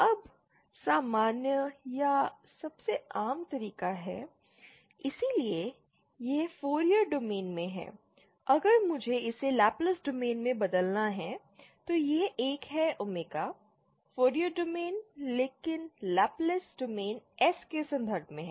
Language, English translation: Hindi, Now the usual or the most common way to convert from theÉ, So this is in the Fourier domain, if I have to convert it to the Laplace domain that is in, so this is an omega, Fourier domain but Laplace domain is in terms of S